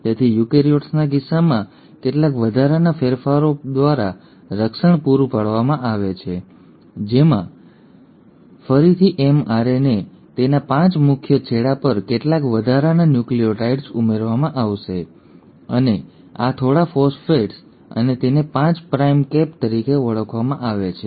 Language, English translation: Gujarati, So that protection is provided by some additional modifications in case of eukaryotes wherein again the mRNA at its 5 prime end will have some additional nucleotides added, and this, and a few phosphates, and this is called as a 5 prime cap